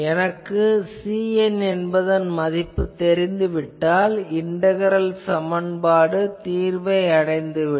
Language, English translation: Tamil, So, this can be computed and once I know C n, I know the integral equation can be solved